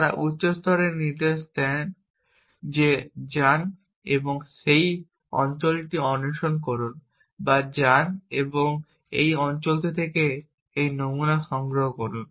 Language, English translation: Bengali, is that they give high level commands go and explore that area or go and collect samples of this in from this area